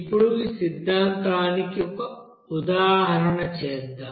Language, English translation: Telugu, Now let us do an example for this theory